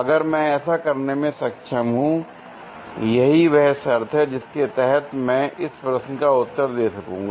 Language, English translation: Hindi, If I am able to do this; that is the condition under which I will be able to answer this question